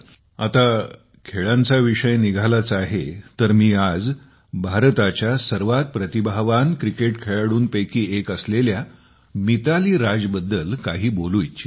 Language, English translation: Marathi, Friends, when it comes to sports, today I would also like to discuss Mithali Raj, one of the most talented cricketers in India